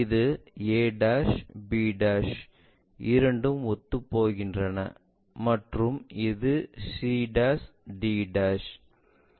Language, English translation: Tamil, And this one a', b', both are coinciding, c' and d'